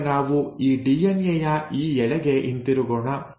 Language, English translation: Kannada, Now let us come back to this DNA strand